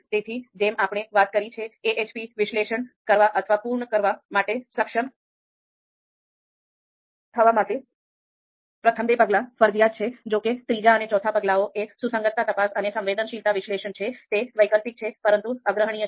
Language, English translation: Gujarati, So as we have talked about, the first two steps are mandatory steps for us to be able to perform the or complete the AHP analysis; however, the third and fourth step that is consistency check and sensitivity analysis, they are optional but recommended